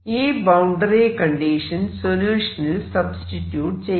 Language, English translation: Malayalam, Let us substitute this boundary condition in the solution